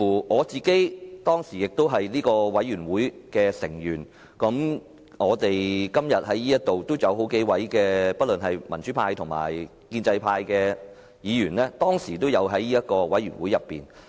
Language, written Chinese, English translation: Cantonese, 我當時也是這個專責委員會的委員，今天議會內數位民主派及建制派的議員當時也有參與這個專責委員會。, I was then a member of the Select Committee . Some Members from the pro - democracy camp and the pro - establishment camp in the current legislature had also joined the Select Committee